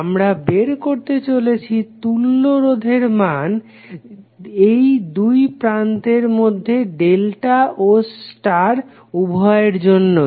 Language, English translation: Bengali, We are going to find the value of the equivalent resistances seeing through these 2 terminals for delta as well as star